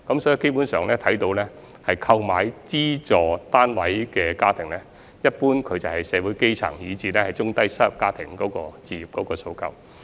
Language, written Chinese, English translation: Cantonese, 所以基本上，購買資助出售單位的家庭，一般是社會基層，以至有置業訴求的中低收入家庭。, So basically SSFs are generally meant for grass roots and low - to middle - income families with home ownership aspirations